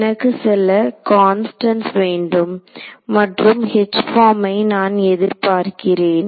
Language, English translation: Tamil, I should get some constants and H that is the form I should expect